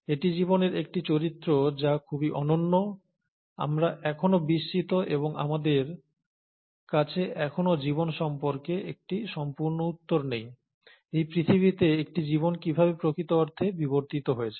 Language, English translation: Bengali, So, this is one character of life which is very unique, and we are still puzzled and we still don’t have a complete answer as to life, how a life really evolved on this earth